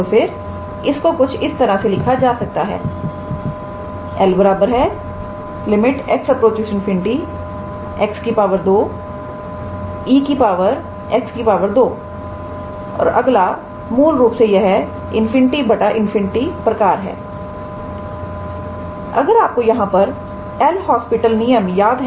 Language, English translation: Hindi, Then this can be written as limit x goes to infinity x square by e to the power x square and next this one is basically infinity by infinity form if you remember from L’Hospital rule